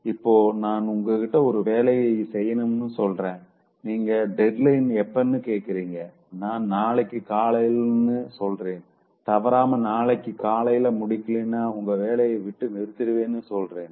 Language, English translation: Tamil, If I come and tell you that you do this work and you ask what is the deadline, I say tomorrow morning, without fail, otherwise you will be thrown out of the job